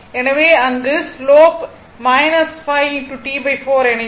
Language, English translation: Tamil, So, in that case slope will be minus 5 into T by 4